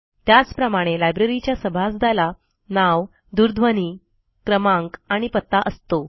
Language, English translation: Marathi, Similarly, a Library member has a Name, phone number and an address